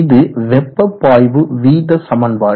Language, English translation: Tamil, x, this is the heat fluorite equation